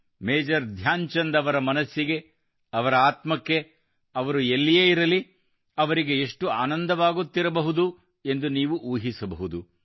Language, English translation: Kannada, You can imagine…wherever Major Dhyanchand ji might be…his heart, his soul must be overflowing with joy